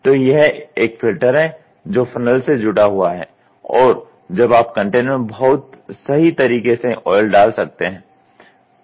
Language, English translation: Hindi, So, this is a filter which is funnel attached and now you can exactly pour into the container